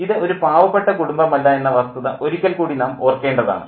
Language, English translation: Malayalam, And once again we need to remember that this is not a poor family at all